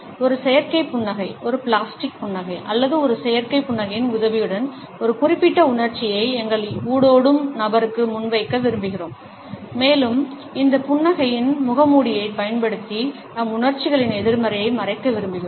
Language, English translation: Tamil, With the help of an artificial smile, a plastic smile or a synthetic smile, we want to present a particular emotion to our interactant and we want to hide the negativity of our emotions using this mask of a smile